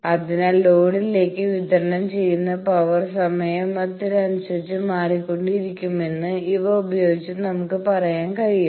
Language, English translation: Malayalam, So, we can say that with these we can say, power delivered to load will be changing with time